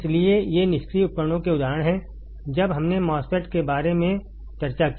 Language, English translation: Hindi, So, these are examples of passive devices when we discussed about MOSFET or when we discussed about MOSFET